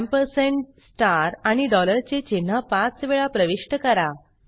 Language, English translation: Marathi, Enter the symbols ampersand, star and dollar 5 times